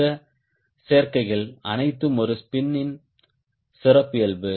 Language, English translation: Tamil, also like this: all these combination is the characteristic of a spin